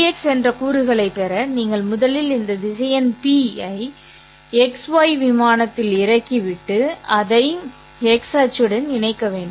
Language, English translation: Tamil, And to obtain the component VX, you have to first drop this vector P onto the X Y plane and then connect it to the X axis and then you will be able to get what is VX